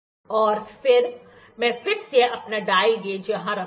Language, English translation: Hindi, And then, I will again put my dial gauge here